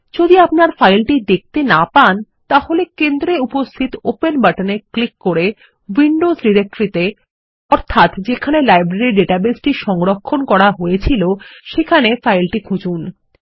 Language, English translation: Bengali, If you dont see it, we can click on the Open button in the centre to browse to the Windows directory where Library database is saved